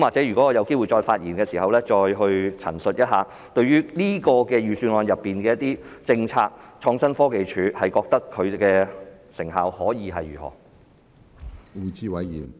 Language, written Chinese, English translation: Cantonese, 如果我有機會再發言，或許我再陳述一下，對於預算案中的一些政策，我覺得創新科技署有何成效的問題。, If I have the opportunity to speak again I may speak a few more words on my opinions about the effectiveness of the Innovation and Technology Commission in taking forward some policies mentioned in the Budget